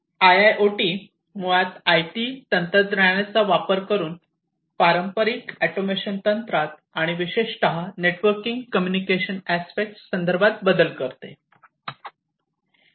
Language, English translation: Marathi, So, IIoT basically modifies the traditional automation techniques by exploiting the IT technology and particularly with respect to the networking aspect, the communication and networking